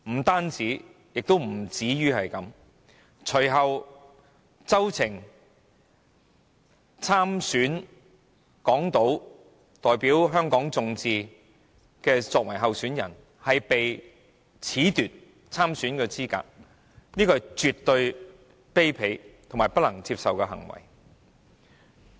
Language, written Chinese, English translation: Cantonese, 不僅如此，隨後周庭代表香港眾志參加立法會港島區補選，但卻被褫奪參選資格，這絕對是卑鄙和不能接受的行為。, Not only this Agnes CHOW of Demosisto was subsequently nominated to run in the Legislative Council By - election of Hong Kong Island Constituency but she was disqualified by the Government and this is absolutely a dirty trick and an unacceptable act